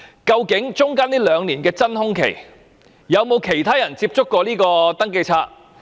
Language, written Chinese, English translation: Cantonese, 究竟中間兩年的真空期，有否其他人曾接觸登記冊？, During the two - year vacuum period did anyone else access the Register?